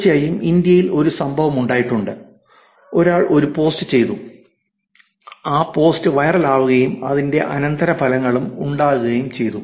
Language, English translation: Malayalam, And of course, there is an incident in India, where the some post was done and that post called actually viral and there were consequences of the post also